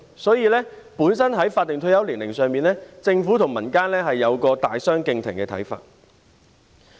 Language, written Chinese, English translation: Cantonese, 所以，在法定退休年齡上，政府和民間有一個大相逕庭的看法。, Therefore on the statutory retirement age the view of the Government and that of the public are vastly different